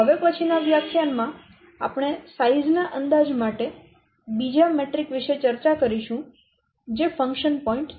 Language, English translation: Gujarati, In the next class, we will discuss about another metric for estimating size that is a function point that will discuss in the next class